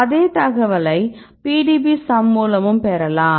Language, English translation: Tamil, So, if you look at the PDBsum right